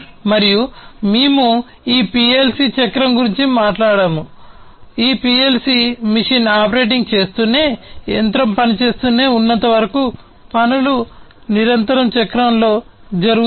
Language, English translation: Telugu, And we also talked about this PLC cycle, which continues to operate the tasks are continuously done in the cycle as these PLC machine keeps on operating, until the machine keeps on operating